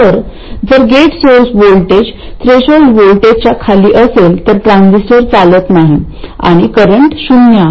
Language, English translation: Marathi, Primary control for the transistor, if it is less than this threshold voltage, you can say that the transistor is off, the current is 0